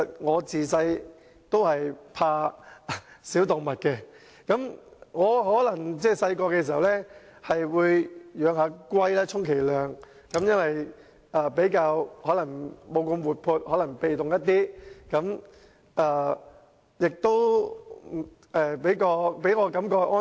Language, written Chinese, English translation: Cantonese, 我自小便害怕小動物，小時候充其量只是養龜，因為龜不是那麼活潑，比較被動，給我的感覺較為安全。, I have had a fear of small animals since childhood . When I was small I was only brave enough to keep tortoises which I felt were relatively harmless as they were kind of inactive and rather passive